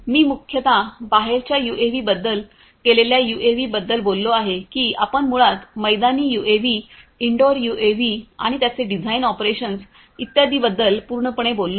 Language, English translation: Marathi, I have mostly talked about outdoor UAVs the UAVs that I have shown you are basically outdoor UAVs, indoor UAVs and their design operations etc